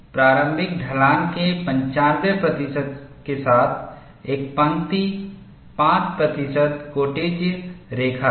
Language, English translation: Hindi, A line with 95 percent of the initial slope is 5 percent secant line